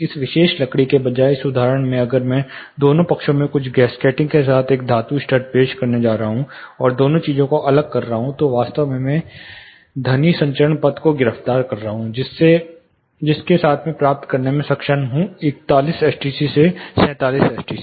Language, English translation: Hindi, In this example instead of this particular wood, if I am going to introduce a metal stud with certain gasketing in both sides, and kind of isolating both the things, I am actually arresting the sound transmission path, with which I am able to get from 41 I am trying to improve, I am able to from 41 I am trying to improve I able to improve it to 47 STC